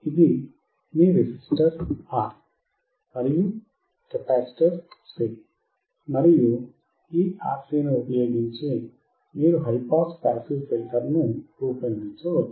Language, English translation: Telugu, This is your R and C resistor and capacitor, and using this RC you can form your high pass passive filter